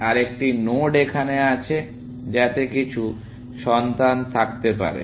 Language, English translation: Bengali, Another node is here, which may have some child and so on